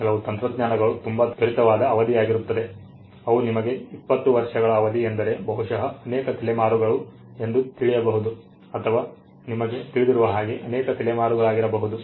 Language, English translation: Kannada, Some technologies are so quick they are you know twenty years maybe many generations for all you know it could be many generations